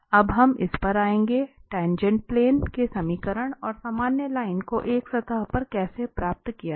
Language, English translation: Hindi, Now, we will come to this, how to get the equation of the tangent plane and the normal line to a surface